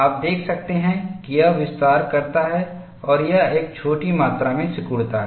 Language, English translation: Hindi, You could see that this expands and this shrinks by a small amount